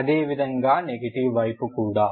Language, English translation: Telugu, Similarly for the negative side, ok